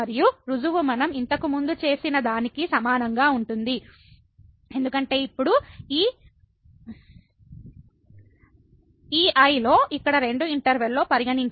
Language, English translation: Telugu, And, the proof is similar to what we have already done before because, now we can consider two intervals here in this